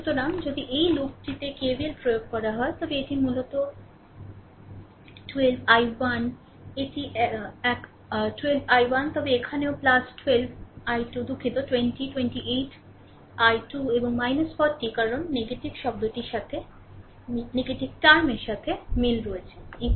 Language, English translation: Bengali, So, if you applying KVL in this loop, then it is basically 12, i 1 this one 12 i 1, then here also plus 12 i 2 sorry 20 28 i 2 and minus 40 because encountering negativeterm is equal to 0